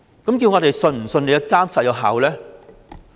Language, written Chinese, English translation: Cantonese, 我們怎能相信其監察有效呢？, How can we believe that its monitoring is effective?